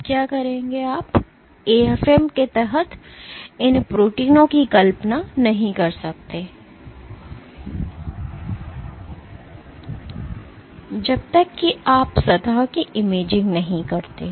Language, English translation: Hindi, Now you cannot visualize these proteins under the AFM, unless you do an imaging of the surface